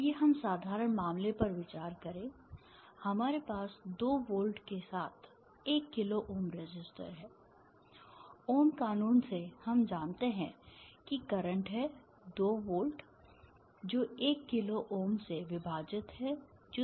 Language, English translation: Hindi, and you will also see that the voltage across resistors, as the five volts and the current by ohms law would be, ir is five volt divided by one kilo ohm is five milli amperes